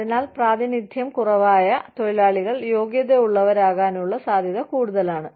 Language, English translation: Malayalam, So, that the under represented workers, are more likely to be qualified